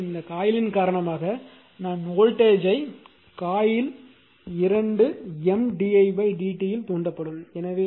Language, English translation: Tamil, Similarly because of this coilthat current I is flowing a voltage will be induced in just 2 coil M d i by d t